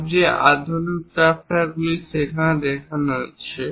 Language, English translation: Bengali, Most sophisticated drafters are also there, and those are shown here